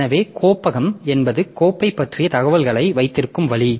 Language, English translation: Tamil, So, directory is actually the way in which the information kept about the file